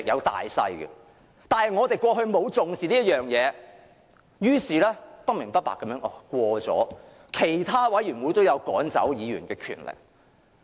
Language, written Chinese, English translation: Cantonese, 但是，我們過去並無重視這一點，於是不明不白地通過了規則，賦予委員會主席趕走議員的權力。, However in the past we did not pay close attention to this point so a rule was passed with ignorance vesting the Chairmen of committees with the power to order the withdrawal of Members